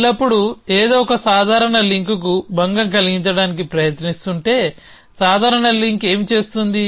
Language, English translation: Telugu, Always that something is trying to disturb to casual link what is the casual link doing